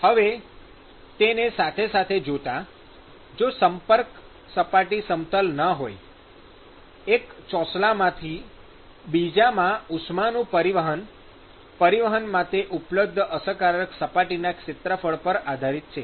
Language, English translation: Gujarati, Now taking that parallel here, if this surface is not smooth, then the contact, the transport of heat from one slab to the other depends upon the overall effective surface area which is available for transport